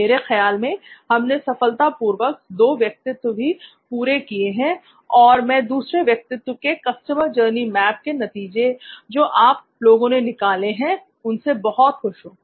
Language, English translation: Hindi, So I think we have done successfully finished of 2 personas, I am very happy with the results that these guys have delivered on the second persona of this particular activity that we did of the customer journey map